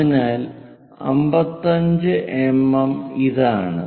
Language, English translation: Malayalam, So, 55 mm is this one